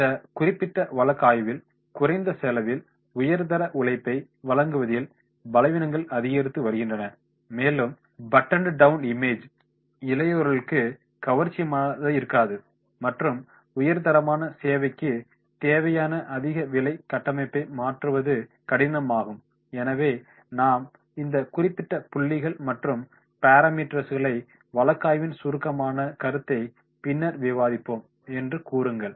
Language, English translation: Tamil, Weaknesses are increasing difficulty supplying high quality labor at low cost in this particular case study and then the buttoned down image may not be attractive to younger demographics and the high cost structure needed for high quality service is difficult to change, so this will be that we will tell that is on this particular points and parameters that they are supposed to have the summarise the case